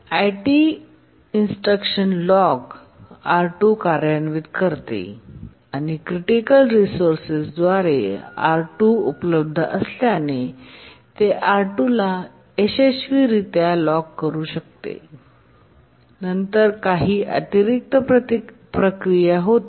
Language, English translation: Marathi, T2 it executes the instruction lock R2 and since the critical resource R2 is available it can successfully lock R2 and then it does some extra processing, some other processing it does